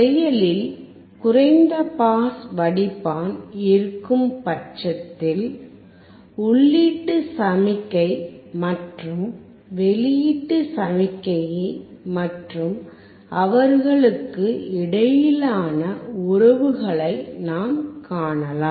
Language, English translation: Tamil, In case of active low pass filter, we can see the input signal and output signal; and the relation between them